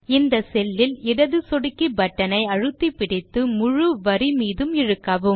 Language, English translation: Tamil, Now hold down the left mouse button on this cell and drag it across the entire row